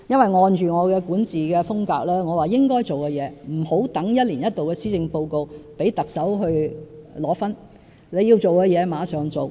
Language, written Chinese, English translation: Cantonese, 按照我的管治風格，我認為該做的事不應留待一年一度的施政報告才做，讓特首領功，而應立即做。, Adhering to my style of governance I call for immediate implementation of necessary measures rather than leaving them till the release of the annual policy address for the Chief Executive to claim credit